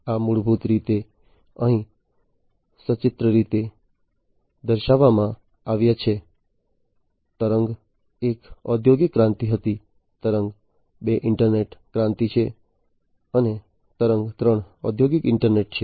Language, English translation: Gujarati, So, the so these are basically pictorially shown over here, wave one was the industrial revolution, wave two is the internet revolution, and wave three is the industrial internet